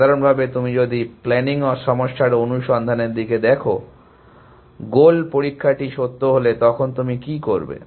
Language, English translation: Bengali, In general, if you look at search in a planning problem, what do you do, if goal test is true